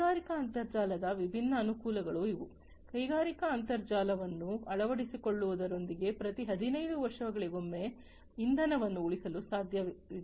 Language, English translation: Kannada, So, these are the different advantages of the industrial internet, with the adoption of industrial internet, it is now possible to save on fuel in, you know, every 15 years